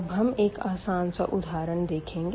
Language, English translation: Hindi, And then let us take a simple example